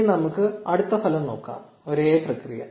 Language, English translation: Malayalam, So, now, let us look at the next result; same process